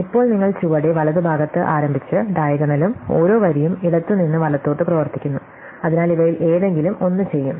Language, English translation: Malayalam, Now, you start in the bottom right and work up the diagonal and each row you do left to right, so either these would done